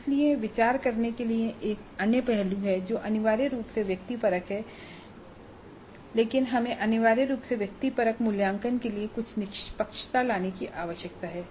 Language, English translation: Hindi, So there are other aspects to be considered which essentially are subjective but we need to bring in certain objectivity to the essentially subjective assessment